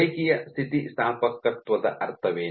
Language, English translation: Kannada, So, what is the meaning of linearly elastic